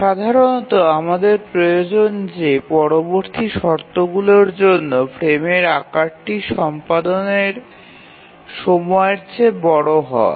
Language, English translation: Bengali, So normally we would need that a frame size should be larger than the execution time of every task